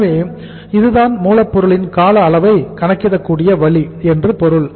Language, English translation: Tamil, So it means this is the way we can calculate the duration of the raw material